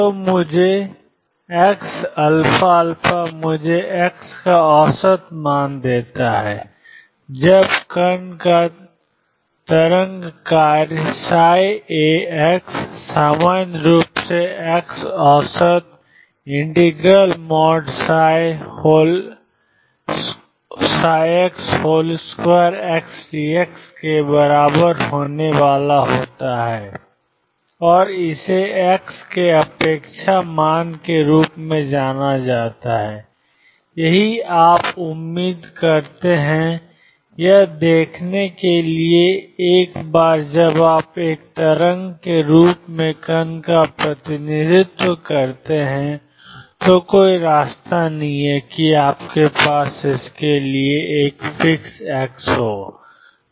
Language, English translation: Hindi, So, x alpha alpha gives me average value of x when the wave function of the particle is psi alpha x in general x average is going to be equal to mod psi square x d x and this is known as expectation value of x this is what you expect to see notice that once you represent the particle as a wave there is no way that you have a fix x for it